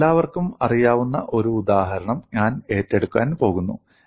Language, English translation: Malayalam, I am going to take up one example problem which all of you know